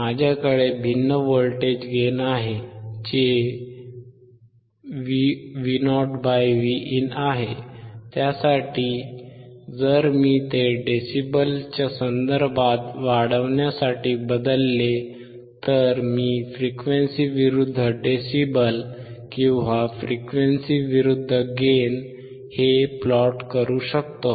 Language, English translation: Marathi, I have different voltage gain, I have voltage gain Vo / Vin, for that if I change it to gain in terms of decibels, I can plot frequency versus decibel or frequency versus gain